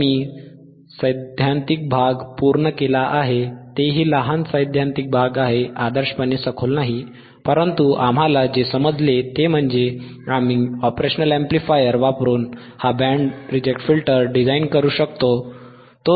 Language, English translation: Marathi, So, we will right now I have covered the theoretical portion once again, small theoretical portion not ideally in depth, but what we understood is we can design this band reject filter right using and operational amplifier